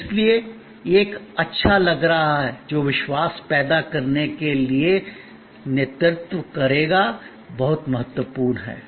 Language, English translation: Hindi, And therefore, this creating a lingering good feeling that will lead to believe trust is very import